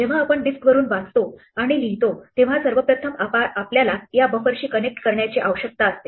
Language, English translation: Marathi, When we read and write from a disk the first thing we need to do is connect to this buffer